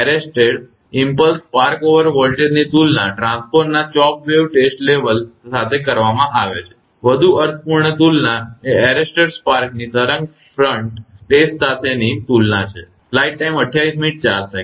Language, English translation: Gujarati, The arrested impulse spark over voltage is compared to the chopped wave test level of the transformer a more meaningful comparison is to compare the arrested spark over with the wave front test